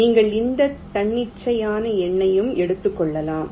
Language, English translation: Tamil, you take any arbitrary number